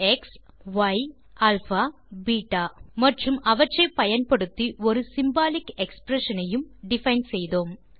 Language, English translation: Tamil, We have defined 4 variables, x, y, alpha and beta and have defined a symbolic expression using them